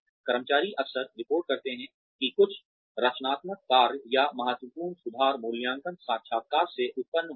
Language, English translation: Hindi, Employees often report that, few constructive actions, or significant improvements, resulted from appraisal interviews